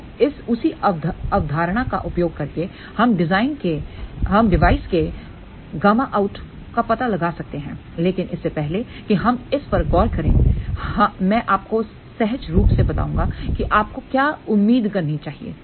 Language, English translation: Hindi, Now, by using the same concept, we can find out gamma out of the device also, but before we look into that I will just tell you intuitively what you should expect